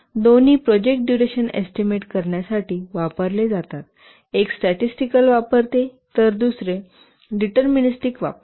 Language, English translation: Marathi, Both are used to estimate the project's duration, one uses statistical, other is deterministic and using both